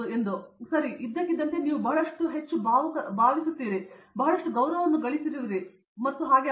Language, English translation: Kannada, Okay so, suddenly you feel a lot of more, you have gained lot of respect and that is it